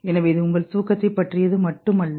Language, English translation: Tamil, So it is not about your sleep only